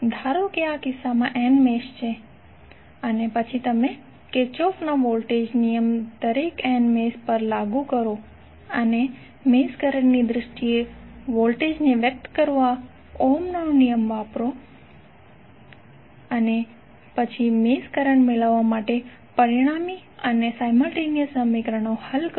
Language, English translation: Gujarati, Suppose in this case there are n mesh and then you apply Kirchhoff's voltage law to each of the n mesh and use Ohm's law to express the voltages in terms of the mesh currents and then solve the resulting and simultaneous equations to get the mesh currents